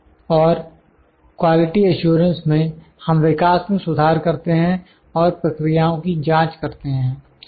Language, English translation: Hindi, And in the quality assurance, we improve the development and test the processes